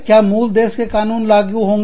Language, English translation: Hindi, Will the laws of the parent country, apply